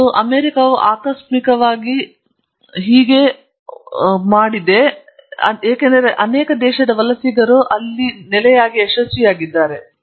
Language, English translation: Kannada, And the US did it by accident, because the country immigrants, they have been very successful